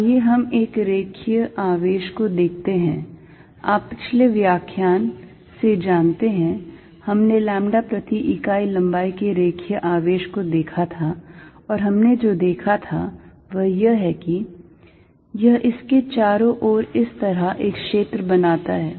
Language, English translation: Hindi, Let us look at a line charge, you know the previous lectures, we did a line charge of carrying a lambda per unit length and what we saw is that, it creates a field like this around it